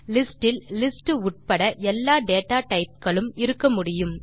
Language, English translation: Tamil, List can contain all the other data types, including list